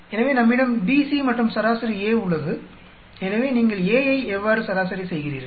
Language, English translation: Tamil, So, we have BC and A is averaged out, so how do you average out the A